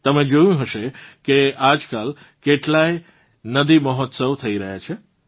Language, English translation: Gujarati, You must have seen, nowadays, how many 'river festivals' are being held